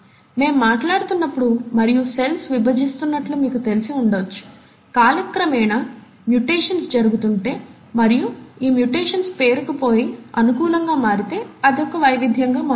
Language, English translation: Telugu, For all you may know, as we are talking and as are our cells dividing, if mutations are taking place with time, and if these mutations accumulate and become favourable, it becomes a variation